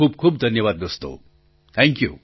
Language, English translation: Gujarati, Thanks a lot my friends, Thank You